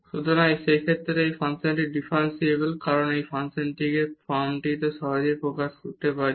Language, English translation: Bengali, So, in that case this function is differentiable because we can easily express this function in this form a times